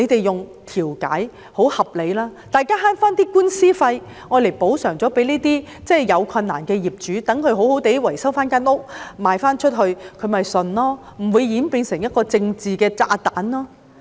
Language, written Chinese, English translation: Cantonese, 用調解方法很合理，大家省回打官司的費用，向這些有困難的人士作出補償，讓他們維修房屋後再出售，他們便服氣，不會演變成一個"政治炸彈"。, It is very reasonable to go for mediation because all parties can save litigation costs to compensate those with difficulties so that they can have their flat repaired and then sell it . In so doing they get their grievance redressed and the crisis will not turn into a political bomb